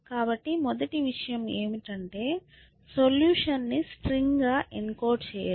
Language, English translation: Telugu, So, the first thing is to encode the solution as a string